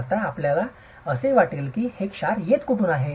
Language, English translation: Marathi, Now where do you think the salts are coming from